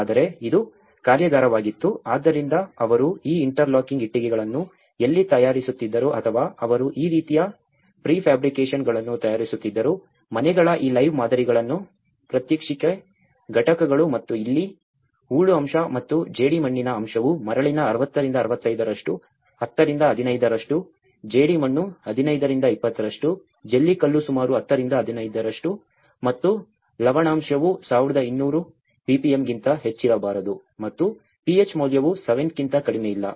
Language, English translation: Kannada, But this was the workshop of, so, where they used to make these interlocking bricks or they used to make these kind of pre fabrications, making these live models of the houses, demonstration units and the here, based on the silt content and the clay content is 60 to 65% of sand, 10 to 15%, clay is 15 to 20%, gravel is about aggregates are about 10 to 15% and salinity should not be greater than the 1200 ppm and pH value not less than 7